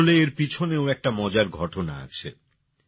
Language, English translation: Bengali, Actually, there is an interesting incident behind this also